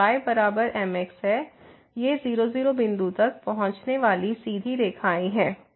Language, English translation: Hindi, So, is equal to these are the straight lines approaching to point